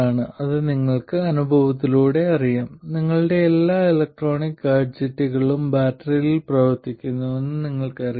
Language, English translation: Malayalam, Now this you know by experience, you know that all your electronic gadgets work with the battery